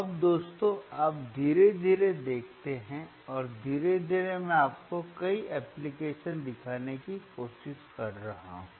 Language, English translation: Hindi, Now guys you see slowly and gradually I am trying to show you several applications